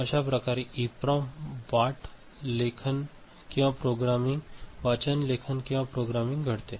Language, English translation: Marathi, This is the way the EPROM you know, writing or programming takes place